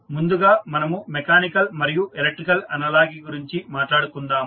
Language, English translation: Telugu, So, first we will discuss about the mechanical, electrical analogies